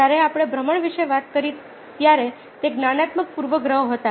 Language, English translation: Gujarati, when we talked of illusions, illusions, ah, were perceptual biases